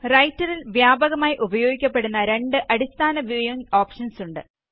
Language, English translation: Malayalam, There are basically two widely used viewing options in Writer